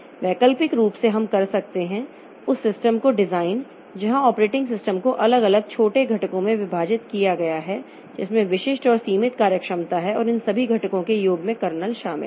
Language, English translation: Hindi, Alternatively, we can design the system where operating system is divided into separate smaller components that has specific and limited functionality and sum of all these components comprises the kernel